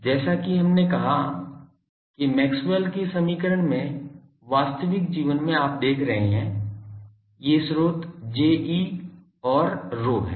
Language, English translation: Hindi, A source just as we said that in actual life in Maxwell’s equation you see, who are the sources the sources are J e and rho